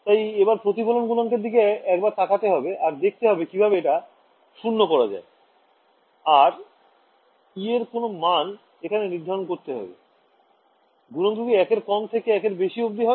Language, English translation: Bengali, So, I should look at the reflection coefficient and see how to make it zero and that itself will tell me what values of e to set, should the modulus less than one equal to one greater than one